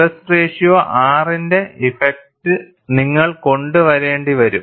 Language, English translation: Malayalam, And you will also have to bring in, the effect of stress ratio R